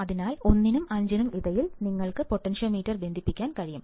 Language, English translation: Malayalam, So, between 1 and 5 you can connect the potentiometer, right